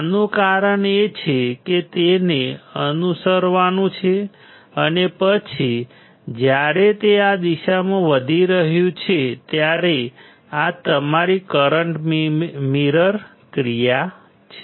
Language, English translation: Gujarati, This is because it has to follow and then this is when it is increasing in this one in this direction, this is your current mirror action